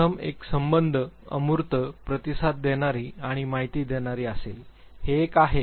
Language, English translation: Marathi, First one would be affiliative, abstract, responding, and informing; this is one